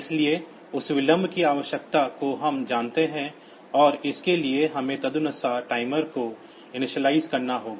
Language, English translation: Hindi, So, that amount of delay needed is known and for that we have to initialize the timer accordingly